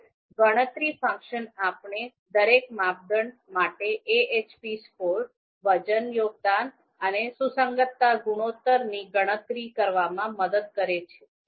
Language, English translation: Gujarati, So the calculate function it will you know calculate AHP score, weight contribution and consistency ratio for each criterion